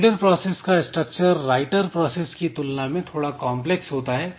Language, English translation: Hindi, So, reader process structure is slightly complex compared to the writer process structure